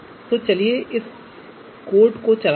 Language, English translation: Hindi, So let us run this code